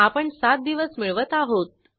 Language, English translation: Marathi, We have added seven days